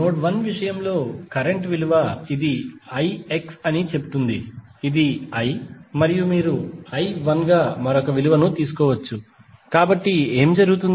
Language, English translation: Telugu, In case of node 1 the value of current say this is i X, this is I and this may you may take another value as i 1, so what will happen